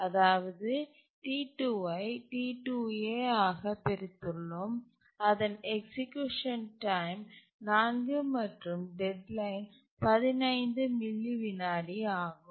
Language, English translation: Tamil, So, that means the we have split T2 into T2A whose execution time is 4 and deadline is 15 milliseconds